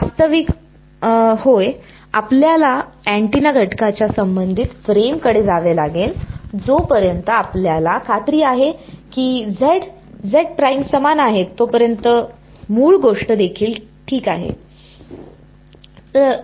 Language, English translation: Marathi, Actually yeah, we have to move to the relative frame of the antenna element, so, even the original thing is fine as long as you are sure that z and z prime are in the same